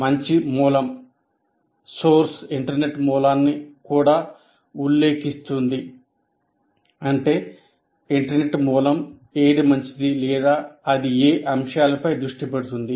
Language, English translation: Telugu, That means what is that internet source we have identified is good for or what elements it is focusing on